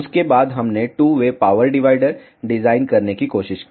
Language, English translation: Hindi, After that we tried to design two way power divider